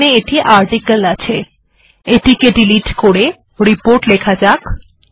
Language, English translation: Bengali, Here it is article, let me delete this, and change it to report